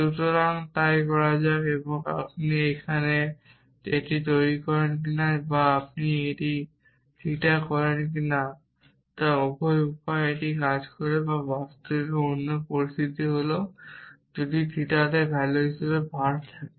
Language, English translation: Bengali, So, let so whether you do this here or whether you do this theta both ways it works in fact the others other situation is if var as the value in theta while you let us call it z in theta